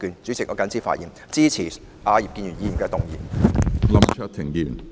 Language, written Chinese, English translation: Cantonese, 主席，我謹此發言，支持葉建源議員的議案。, President I so submit and support Mr IP Kin - yuens motion